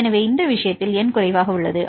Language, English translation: Tamil, So, for this case you have the number 9